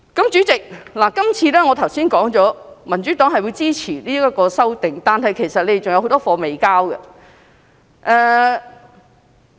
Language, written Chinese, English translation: Cantonese, 主席，我剛才說民主黨會支持是次修訂，但其實政府還有很多工作未完成。, President just now I said that the Democratic Party would support the Bill . But actually the Government still has a lot of work yet to be completed